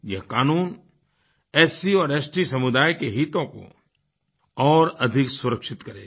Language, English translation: Hindi, This Act will give more security to the interests of SC and ST communities